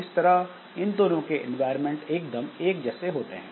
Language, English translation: Hindi, So, both of them see almost similar type of environment